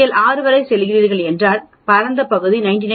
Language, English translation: Tamil, If you are going up to 6 sigma then the area spanned will be 99